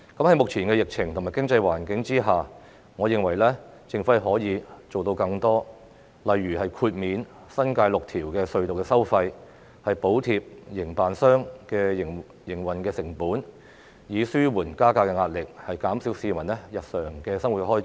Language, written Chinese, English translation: Cantonese, 在目前疫情及經濟環境下，我認為政府可以做到更多，例如豁免新界6條隧道的收費，補貼營辦商的營運成本，以紓緩加價壓力，減少市民的日常生活開支。, Given the current epidemic and economic environment I think the Government can do more such as waiving the tolls of six tunnels in the New Territories and subsidizing the operating costs of tunnel operators so as to alleviate the pressure of toll increases and reduce peoples daily living expenses . Deputy President I so submit